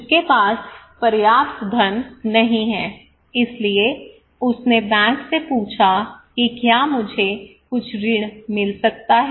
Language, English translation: Hindi, He does not have enough money maybe so he asked the bank that can I get some loan